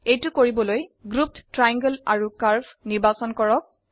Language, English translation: Assamese, To do this, select the grouped triangle and curve